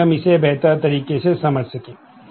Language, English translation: Hindi, So, that we can understand it better